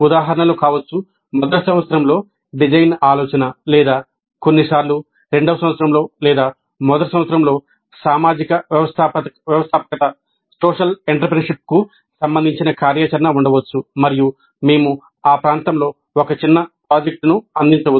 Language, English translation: Telugu, Examples can be design thinking in first year or sometimes in second year or in first year there could be activity related to social entrepreneurship and we might offer a mini project in that area